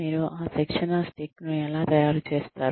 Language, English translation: Telugu, How do you make that training stick